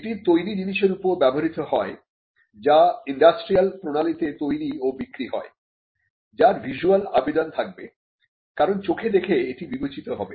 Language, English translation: Bengali, It is applied to a finished article which is capable of being made and sold separately by an industrial process and it should have a visual appeal meaning which it should be judged solely by the eye